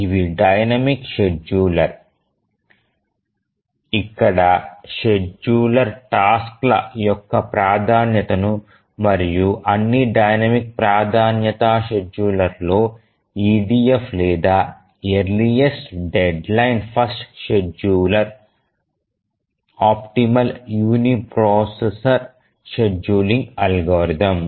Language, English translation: Telugu, So, these are the dynamic scheduler where the scheduler keeps on changing the priority of the tasks and of all the dynamic priority schedulers, the EDF or the earliest deadline first scheduler is the optimal uniprocessor scheduling algorithm